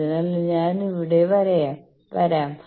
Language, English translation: Malayalam, So, there I can come